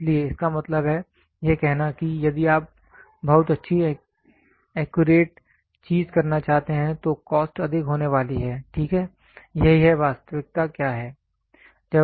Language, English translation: Hindi, So; that means, to say if you want to have very good accurate thing then the cost is going to be high, ok, this is what is the reality